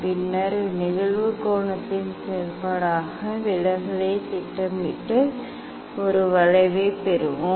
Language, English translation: Tamil, Then we will plot deviation as a function of incident angle and get a curve